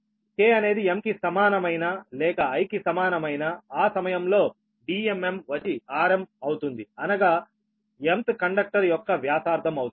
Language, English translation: Telugu, now, when k is equal to m, if k is equal to m or i is equal to m, then d m m will become r m right, when either k is equal to m or i is equal to m, at that time d m m will be the r m that is radius of the m th conductor right now